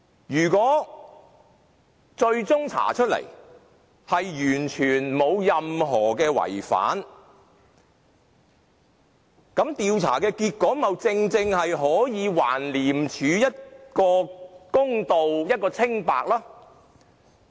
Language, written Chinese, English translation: Cantonese, 如果最終查出完全沒有違反任何程序，調查結果豈不正正可以還廉署一個公道、一個清白嗎？, If the findings of an investigation reveal no violation of any procedures they can actually do justice to ICAC and prove innocence